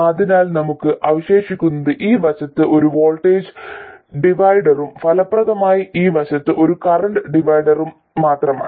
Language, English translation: Malayalam, So all we are left with is a voltage divider on this side and effectively a current divider on this side